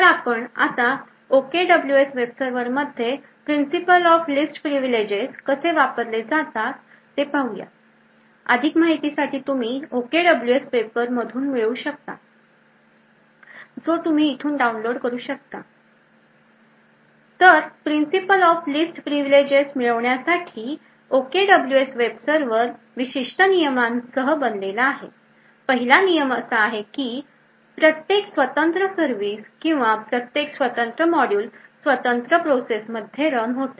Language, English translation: Marathi, So now let us look at how the Principle of Least Privileges is applied to the OKWS web server, more details about this thing can be obtained from this OKWS paper which is downloadable from this page, so in order to achieve the Principle of Least Privileges, the OKWS web server is designed with certain rules, the first rule is that each independent service or each independent module runs in an independent process